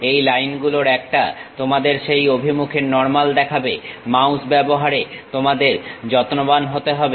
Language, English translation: Bengali, One of the line is is going to show it in normal to that direction you have to be careful in using mouse